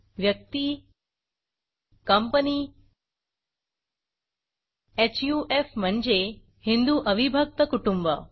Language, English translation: Marathi, Person Company HUF i.e Hindu Un divided Family